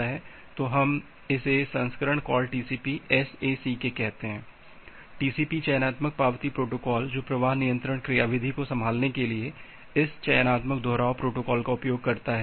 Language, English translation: Hindi, So, we call it version call TCP SACK, TCP selective acknowledgement protocol with which uses this selective repeat protocol to handle the flow control mechanism